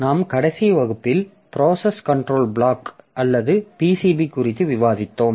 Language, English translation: Tamil, So, in our class we are discussing on the process control block or PCB